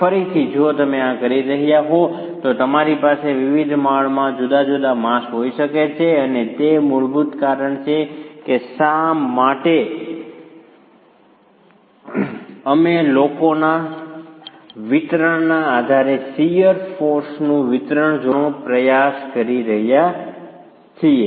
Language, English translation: Gujarati, Again, if you were doing this, you can have different masses in different floors and that is fundamentally the reason why we are trying to look at the distribution of shear forces based on the distribution of masses